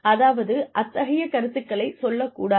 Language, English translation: Tamil, I mean, do not make such comments